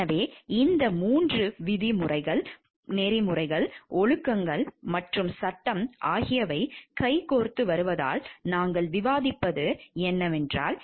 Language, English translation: Tamil, So, we have been discussing these 3 terms, ethics, morals and law because these comes hand in hand